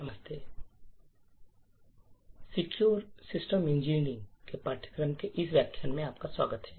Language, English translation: Hindi, Hello and welcome to this lecture in the course for Secure System Engineering